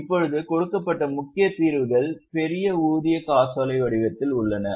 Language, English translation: Tamil, Now the major solutions given are in the form of big paycheck